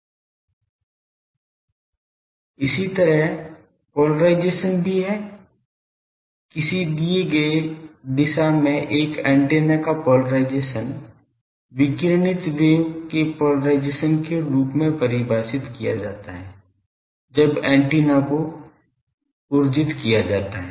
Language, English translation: Hindi, Similarly polarisation is also there that polarisation of an antenna in a given direction is defined as the polarisation of the radiated wave; when the antenna is excited